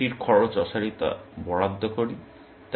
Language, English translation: Bengali, We assign the cost futility of that